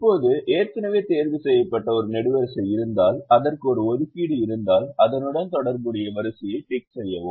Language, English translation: Tamil, now, if there is a column that is already ticked and it has an assignment, then tick the corresponding row